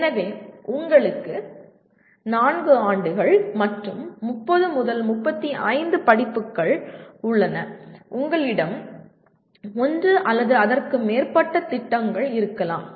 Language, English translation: Tamil, So you have 4 years and possibly 30 35 courses and you have maybe one or more projects